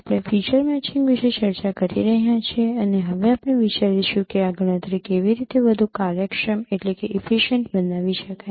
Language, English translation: Gujarati, We are discussing about feature matching and now we will be considering that how this computation could be made more efficient